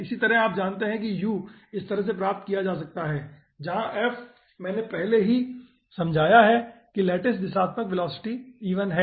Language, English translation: Hindi, okay, in a similar fashion, you know u can be obtained in this fashion where aah f i already i have explained ei, that is the lattice directional velocity, 13:32